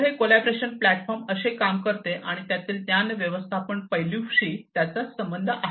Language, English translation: Marathi, So, this is how a collaboration platform works, and how it is linked to the knowledge management aspect of it